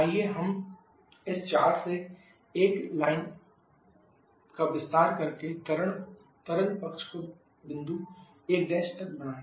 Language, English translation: Hindi, Let us extend this 4 to 1 line extend to liquid side up to a point 1 Prime